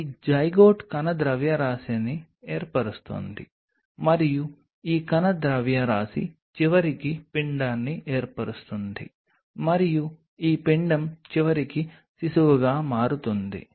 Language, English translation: Telugu, this zygote then form a mass of cell and this mass of cell eventually form an embryo and this embryo eventually becomes a baby